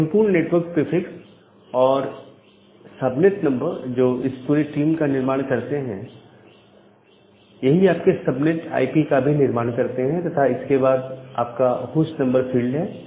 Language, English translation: Hindi, And this entire network prefix and the subnet number that forms this entire team forms your subnet IP and then you have the host number field